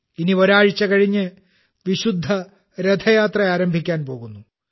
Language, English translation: Malayalam, The holy Rath Yatra is going to start after a week from now